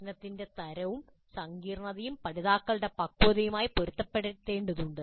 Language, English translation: Malayalam, Type and complexity of the problem needs to be matched with the maturity of the learners